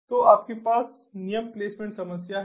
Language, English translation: Hindi, so you have the rule placement issue